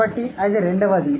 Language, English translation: Telugu, So, that's the second one